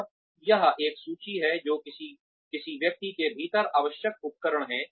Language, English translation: Hindi, And, it is a list of, what the tools required within a person